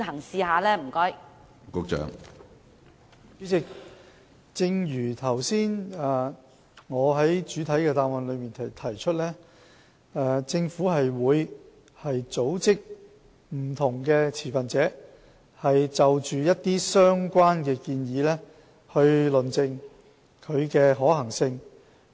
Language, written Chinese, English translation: Cantonese, 主席，正如我剛才在主體答覆提出，政府會組織不同持份者論證相關建議的可行性。, President as I have just indicated in my main reply the Government will gather different stakeholders to prove empirically the feasibility of the relevant proposal